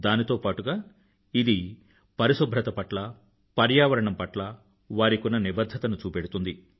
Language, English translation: Telugu, This deed is commendable indeed; it also displays their commitment towards cleanliness and the environment